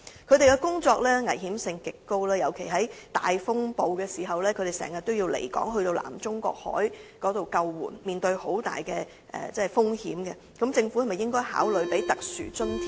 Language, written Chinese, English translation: Cantonese, 他們的工作危險性極高，尤其在大風暴時經常需要離港，遠赴南中國海進行救援工作，面對極大風險，政府應否考慮為他們發放特殊津貼？, GFS pilots have to work under extremely dangerous circumstances especially in heavy storms when they will always be far away from Hong Kong to carry out rescue duties in the South China Sea . Should the Government consider granting them a special allowance for performing such high - risk duties?